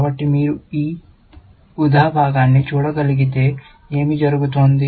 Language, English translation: Telugu, So, what is happening in, if you can see this purple part